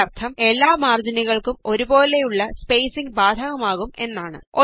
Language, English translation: Malayalam, This means that the same spacing is applied to all the margins